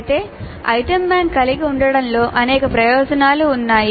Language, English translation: Telugu, However there are several advantages in having an item bank